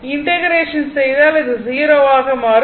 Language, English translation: Tamil, If you do integration, you will see this will become 0 right